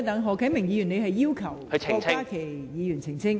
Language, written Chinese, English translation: Cantonese, 何啟明議員，你要求郭家麒議員澄清？, Mr HO Kai - ming are you asking Dr KWOK Ka - ki to clarify?